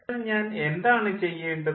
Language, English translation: Malayalam, so then what is happening